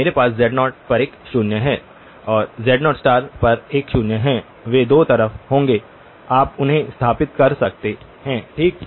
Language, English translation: Hindi, I have one 0 at z naught, one 0 at z naught conjugate, they will be on two sides, you can locate them okay